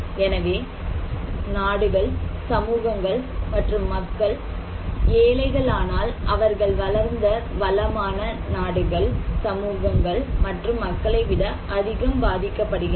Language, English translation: Tamil, So, poorer the countries, poorer the communities, poorer the societies, they are more affected by disasters than the prosperous developed nations and societies and communities